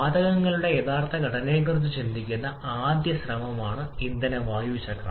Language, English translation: Malayalam, The fuel air cycle is the first effort where we are considering the actual composition of gases